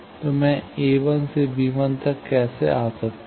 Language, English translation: Hindi, So, how I can come from a 1 to b 1